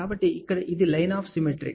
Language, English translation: Telugu, So, here this is the line of symmetry